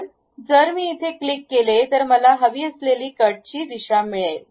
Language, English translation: Marathi, So, if I click that this is the direction of cut what I am going to have